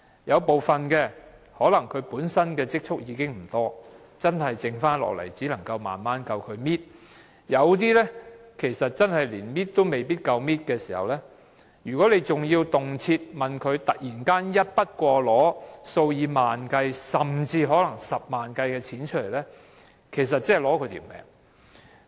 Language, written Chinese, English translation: Cantonese, 有部分長者本身的積蓄可能不多，只夠他們慢慢"搣"，另一些可能連"搣"也不夠，如果還動輒要他們突然支付一筆過數以萬元計，甚至是十萬元計的款項，這等於要了他們的命。, Some elderly persons do not have much savings perhaps just enough for them to spend most cautiously . As for other elderly persons they may not even have enough for them to make any cautious spending . If these elderly persons are frequently required to pay tens of thousands of dollars or even hundreds of thousands of dollars unexpectedly it is like killing them